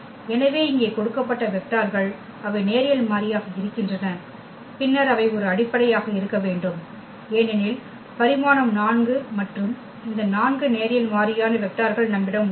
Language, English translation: Tamil, So, here are the given vectors they are linearly independent and then they it has to be a basis because, the dimension is 4 and we have these 4 linearly independent vectors